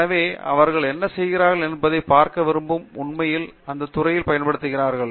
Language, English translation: Tamil, So, there are people who want to see what they are doing actually be applied in the industry